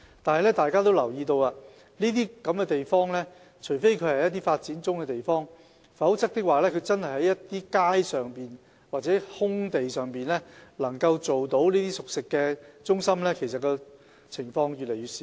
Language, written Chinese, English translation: Cantonese, 相信大家都留意到，除非是發展中的地方，否則能夠在街道或空地上設立熟食中心的情況越來越少。, I believe Members have noticed that places where cooked food centres can be found on the streets or in open space are getting fewer and fewer with the exception of developing places